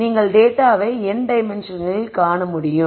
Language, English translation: Tamil, So, you are able to see data in n dimensions